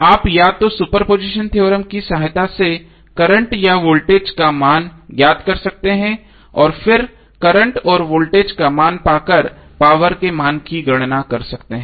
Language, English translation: Hindi, You can either find the value of current or voltage with the help of super position theorem and then finally calculate the value of power after getting the value of current and voltage